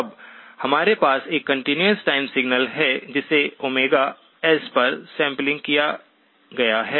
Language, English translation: Hindi, Now what we have is a continuous time signal that has been sampled at Omega S